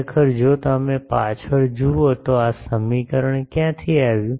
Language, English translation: Gujarati, Actually if you look back this equation came from where